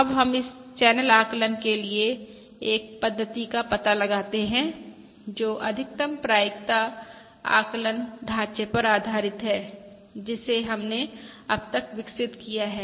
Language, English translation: Hindi, Now let us explore a scheme for this channel estimation based on the maximum likelihood estimation framework that we have developed, sofa